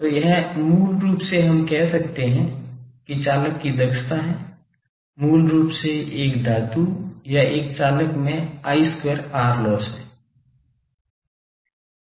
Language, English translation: Hindi, So, this is basically we can say that conductor efficiency basically I square R loss in a conductor in a metal or in a conductor